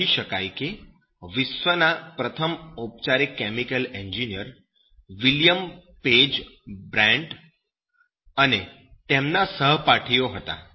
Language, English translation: Gujarati, You can say that the world’s first formal chemical engineer was ‘William Page Bryant’ and his classmates